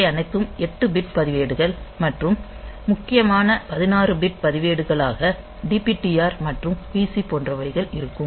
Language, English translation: Tamil, So, and they are all 8 bit registers and the important 16 bit registers are like DPTR and PC